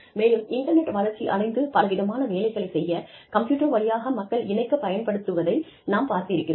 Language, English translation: Tamil, And, we have seen the internet, evolve from a method of connecting people, over the computer to, doing a whole bunch of things